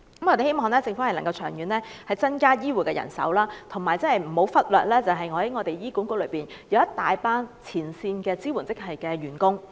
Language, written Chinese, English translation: Cantonese, 我們希望政府長遠能增加醫護人手，而且，不要忽略在醫院管理局內一大群前線支援職系的員工。, It is our hope that the Government will increase health care manpower in the long run and will not neglect the frontline supporting staff in the Hospital Authority HA